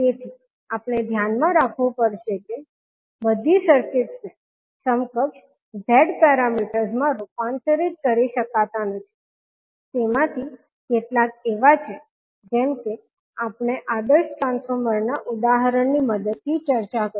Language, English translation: Gujarati, So, we have to keep in mind that not all circuits can be converted into the equivalent Z parameters to a few of them are like we discussed with the help of ideal transformer example